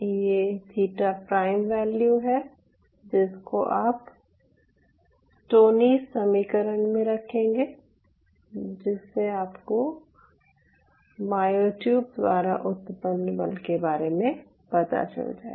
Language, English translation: Hindi, so this theta prime value, which is the value, what you have do plug into the stoneys equation and this will give you the force generated by the myotube